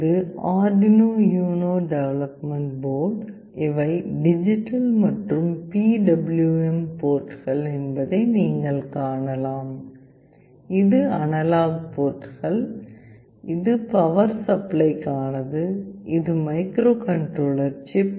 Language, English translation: Tamil, This is the Arduino UNO development board; you can see these are the digital and PWM ports, this is the analog ports, this is for the power, this is the microcontroller chip